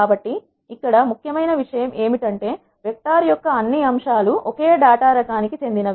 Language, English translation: Telugu, So, only key thing here is all the elements of a vector must be of a same data type